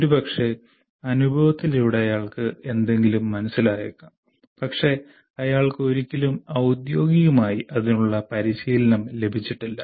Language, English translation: Malayalam, Some of those experiences, maybe through experience he may understand something, but is never formally trained in that